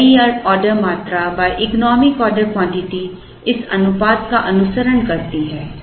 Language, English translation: Hindi, So, new order quantity by economic order quantity follows this proportion